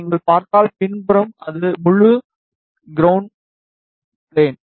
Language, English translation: Tamil, On the back side if you see, it is full ground plane